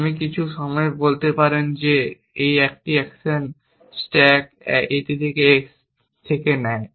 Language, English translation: Bengali, I might say at some point that an action stack a on to x